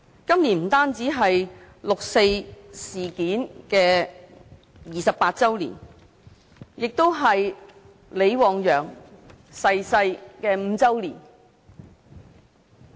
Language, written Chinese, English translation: Cantonese, 今年不單是六四事件28周年，也是李旺陽逝世5周年。, This year is not only the 28 anniversary of the 4 June incident; it also marks the fifth anniversary of LI Wangyangs death